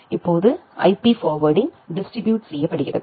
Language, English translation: Tamil, Now, IP forwarding is distributed